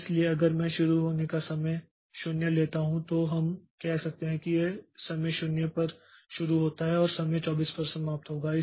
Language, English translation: Hindi, So, if I as if I take the start time to be time 0 then we can say that it starts at time 0 and finishes at time 24